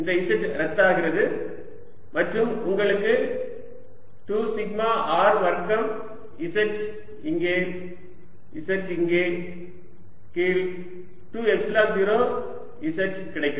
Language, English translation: Tamil, this r cancels one of the r and i get final expression as sigma r over two epsilon zero z